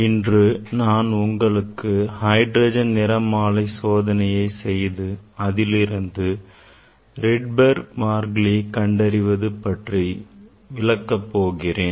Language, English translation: Tamil, today I will demonstrate hydrogen spectra and determination of Rydberg constant